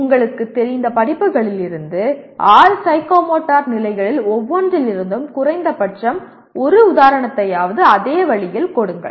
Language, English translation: Tamil, Same way give at least one example from each one of the six psychomotor levels from the courses you are familiar with